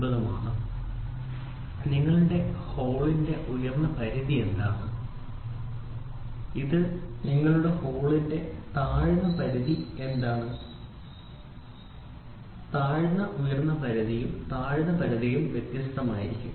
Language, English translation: Malayalam, For your hole what is your upper limit of your hole and what is your lower limit of your hole; the lower upper limit and lower limits will be different